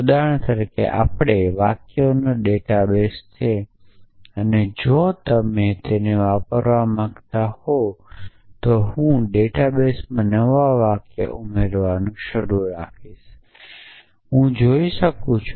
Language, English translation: Gujarati, For example, our data base of sentences if you want to use at a then I can keep adding new sentences to the data base essentially